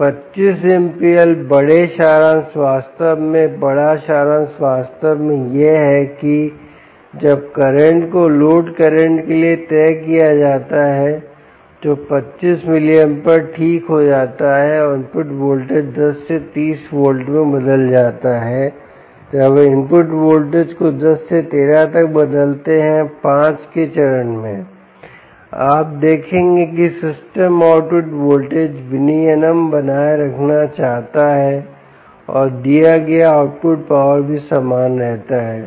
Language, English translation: Hindi, the big summary, indeed the big summary indeed, is that ah, when the current is fixed to the load, current is fix to twenty five milliamperes and the input voltage is changed across ten to thirty volts ah the, when we change the ah input voltage from ten to thirteen steps of five, you will see that the system continues to maintain output voltage regulation and the output power delivered also remains the same